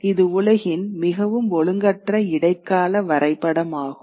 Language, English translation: Tamil, It's kind of a very crude medieval map of the world